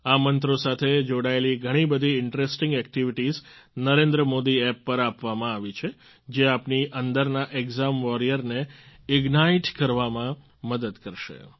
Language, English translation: Gujarati, A lot of interesting activities related to these mantras are given on the Narendra Modi App which will help to ignite the exam warrior in you